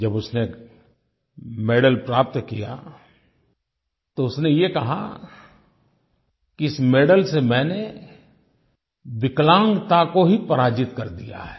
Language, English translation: Hindi, When the medal was awarded to her, she said "Through this medal I have actually defeated the disability itself